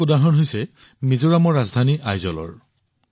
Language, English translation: Assamese, One such example is that of Aizwal, the capital of Mizoram